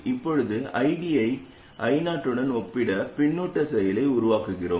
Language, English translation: Tamil, Now we generate the feedback action by comparing ID to I 0